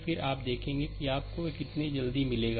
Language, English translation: Hindi, Then you see how quickly you will get it